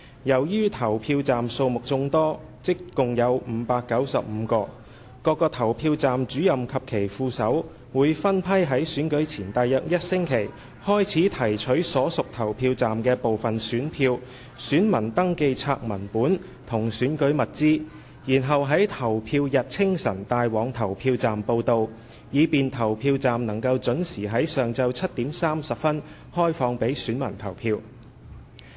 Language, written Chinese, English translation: Cantonese, 由於投票站數目眾多，即共有595個，各個投票站主任及其副手會分批於選舉前約1星期開始提取所屬投票站的部分選票、選民登記冊文本及選舉物資，然後在投票日清晨帶往投票站報到，以便投票站能準時於上午7時30分開放予選民投票。, In view of the large number of polling stations 595 in total PROs and their deputies will collect some of the ballot papers copies of registers of electors and electoral materials for their respective polling stations in batches starting from about one week before the polling day and bring them along when reporting to the polling stations for duty in the early morning of the polling day to facilitate the opening of polling stations at 7col30 am sharp for electors to cast their votes